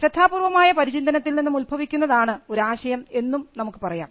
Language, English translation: Malayalam, We could also say that an idea is product of a careful thinking